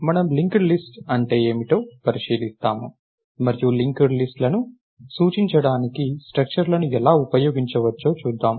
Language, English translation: Telugu, what linked lists are, and we will see how structures can be used to represent linked lists